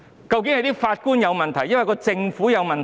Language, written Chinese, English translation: Cantonese, 究竟是法官有問題，還是政府有問題？, Are there problems with the judges or with the Government?